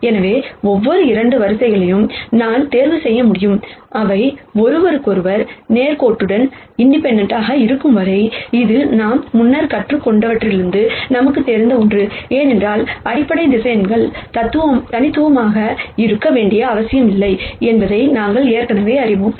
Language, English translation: Tamil, So, I can choose any 2 columns, as long as they are linearly independent of each other and this is something that we know, from what we have learned before, because we already know that the basis vectors need not be unique